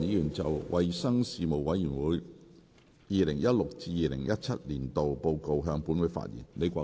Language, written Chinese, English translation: Cantonese, 李國麟議員就"衞生事務委員會 2016-2017 年度報告"向本會發言。, Prof Joseph LEE will address the Council on the Report of the Panel on Health Services 2016 - 2017